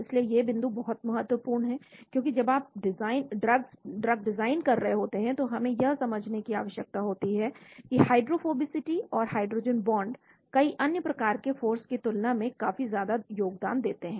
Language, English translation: Hindi, so these points are very important because when you are designing drugs we need to understand that hydrophobicity and hydrogen bond contributes quite a lot than many other types of forces